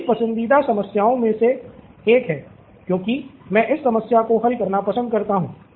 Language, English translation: Hindi, One of my favourite problems because I love to solve this problem